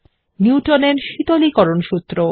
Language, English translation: Bengali, Newtons law of cooling